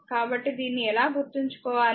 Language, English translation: Telugu, So, how to remember this